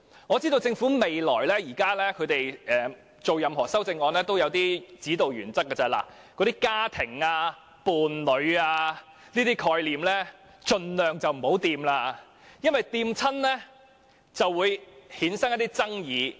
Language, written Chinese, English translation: Cantonese, 我知道政府提出任何修正案，也有一些指導原則，就是盡量別碰到"家庭"、"伴侶"等概念，因為每次觸及時也會引發一些爭議。, I know that in proposing any amendment the Government has a guiding principle of trying by all means not to touch on such concepts as family and partner because every time it does it will arouse controversy